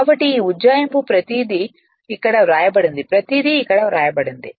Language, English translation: Telugu, So, this approximation everything what I said it is written here right everything is written here